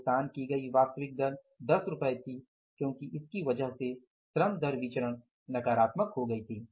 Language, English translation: Hindi, Actual 8 paid was more that actual 8 paid was rupees 10 and because of that the labor rate of pay variance has become negative